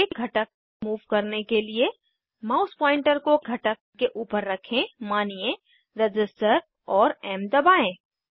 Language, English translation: Hindi, To move a component, keep the mouse pointer on a component, say resistor, and then press m